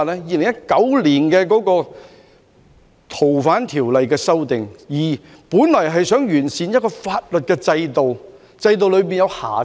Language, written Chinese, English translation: Cantonese, 2019年的《逃犯條例》修訂，本來旨在完善一個法律制度，修復好制度內的瑕疵。, The 2019 amendment to the Fugitive Offenders Ordinance was intended to improve a legal system and fix the flaws in it